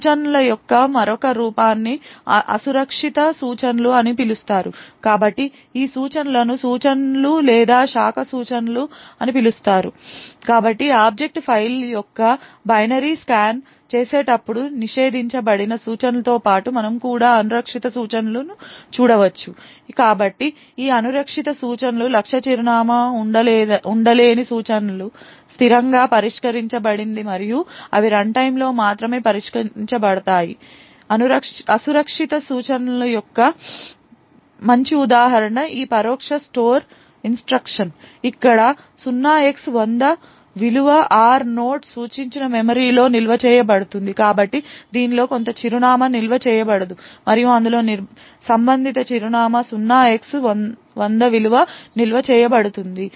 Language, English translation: Telugu, Another form of instructions are known as unsafe instructions, so these instructions are called instructions or branch instructions so besides the prohibited instructions while scanning the binary of the object file we may also come across unsafe instructions so these unsafe instructions are instructions whose target address cannot be resolved statically and they can only be resolved at runtime a nice example of an unsafe instruction is this indirect store instruction where the value of 0x100 is stored in the memory pointed to by r nought, so r naught has some address stored in it and in that corresponding address the value of 0x100 is stored